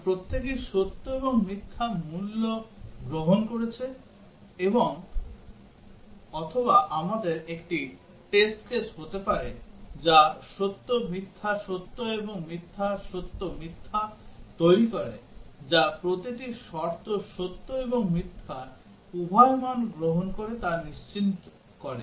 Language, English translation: Bengali, Because each has taken true and false values or we can have a test case which makes true, false, true, and false, true, false so that will ensure that each condition takes both true and false values